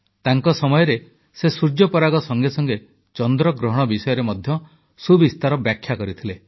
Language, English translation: Odia, During his career, he has expounded in great detail about the solar eclipse, as well as the lunar eclipse